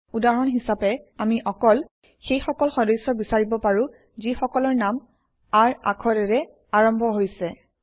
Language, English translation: Assamese, For example, we can limit the result set to only those members, whose name starts with the alphabet R